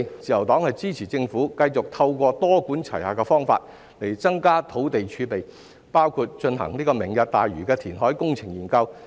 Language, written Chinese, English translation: Cantonese, 自由黨支持政府繼續透過多管齊下的方法增加土地儲備，包括進行"明日大嶼"的填海工程研究。, The Liberal Party supports the Government to continue to adopt a multi - pronged approach to increase land reserves including conducting a study on the reclamation projects of the Lantau Tomorrow Vision